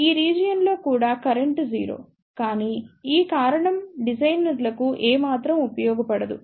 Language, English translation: Telugu, In this region also current is 0, but this reason is not of any use to the designers